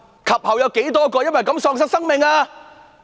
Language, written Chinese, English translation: Cantonese, 及後有多少人因此而喪命？, How many more died subsequently?